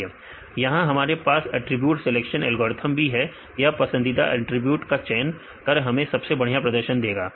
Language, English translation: Hindi, Also here we have the attribute selection algorithms; this will also select the preferred attributes to give the best performance